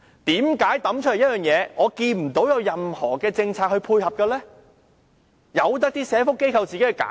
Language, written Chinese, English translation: Cantonese, 為何拋出一個計劃後，見不到任何政策配合，任由社福機構自行推展？, Why was the introduction of the plan not accompanied by complementary policies and why did its implementation become the sole responsibility of social enterprises?